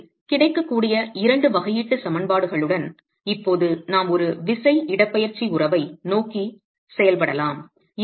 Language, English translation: Tamil, So with the two differential equations available we can now proceed to work towards a forced displacement relationship